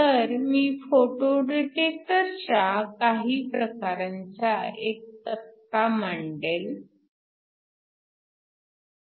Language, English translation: Marathi, So, let me just tabulate some of these types a photo detectors